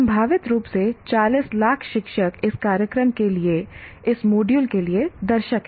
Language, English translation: Hindi, That means, potentially the 40 lakh teachers are the audience for this program, for this module